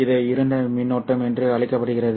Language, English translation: Tamil, This is called as the dark current